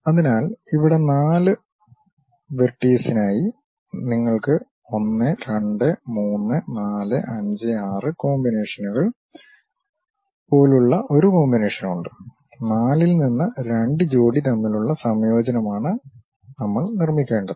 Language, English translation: Malayalam, So, here for four vertices, we have a combination like 1 2 3 4 5 6 combinations we have; is a combination in between two pairs from out of 4 we have to construct